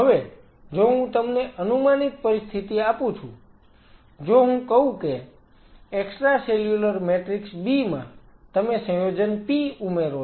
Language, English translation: Gujarati, Now if I give you hypothetical situation if I say if in the extra cellular matrix B, you add compound P, which I am representing by say compound P something like this